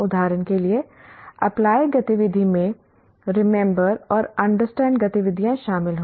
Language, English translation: Hindi, Apply activity for example will involve understand and remember activities